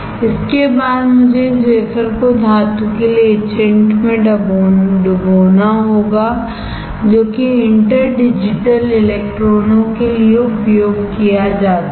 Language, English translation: Hindi, After this I had to dip this wafer in the etchant for metal which is used for interdigital electrons